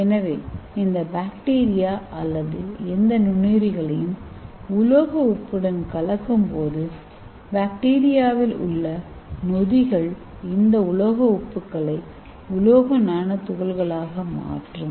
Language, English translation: Tamil, So when you mix this bacteria or any microorganisms with the metal salt, so the enzymes will convert this metal salts into metal nanoparticles